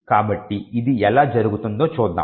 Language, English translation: Telugu, So, let us see how this can take place